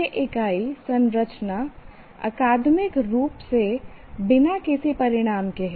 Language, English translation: Hindi, And why this unit structure academically of no consequence